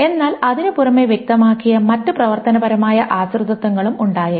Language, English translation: Malayalam, But in addition there may be other functional dependencies that has specified